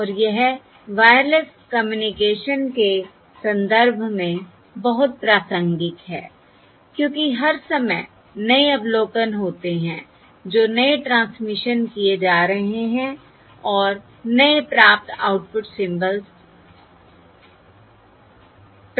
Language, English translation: Hindi, And this is very relevant in the context of wireless communication because all the time there are new observations, that is, new pilot symbols being transmitted and new received output symbols, that is, new output symbols being received